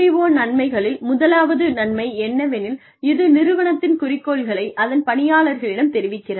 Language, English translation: Tamil, Benefits of MBO are, first, it communicates organizational aims to employees